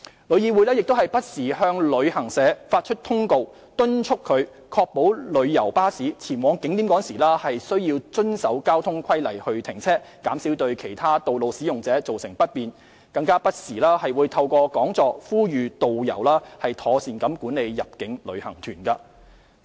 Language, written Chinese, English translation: Cantonese, 旅議會亦不時向旅行社發出通告，敦促其確保旅遊巴士前往景點時須遵守交通規例停車，減少對其他道路使用者造成不便，更不時透過講座呼籲導遊妥善管理入境旅行團。, TIC will issued circulars to travel agencies from time to time urging them to ensure that tour coaches will comply with traffic rules when visiting tourist attractions as well as minimize the inconvenience caused to other road users . TIC will also organize seminars from time to time to urge tour guides to manage inbound tour groups properly